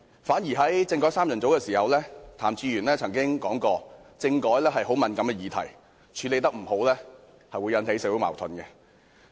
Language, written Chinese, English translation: Cantonese, 反而作為"政改三人組"一分子時，譚志源曾經說過，政改是很敏感的議題，處理得不好，便會引起社會矛盾。, Well when Raymond TAM was one of the constitutional reform trio he once remarked that constitutional reform was a highly sensitive issue which could cause social conflicts if not properly handled